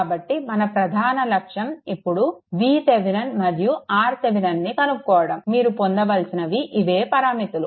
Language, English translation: Telugu, So, our major objective is now to find V Thevenin and R Thevenin; that is the that you have to obtain